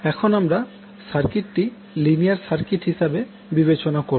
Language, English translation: Bengali, So, now again let us consider the circuit we consider a linear circuit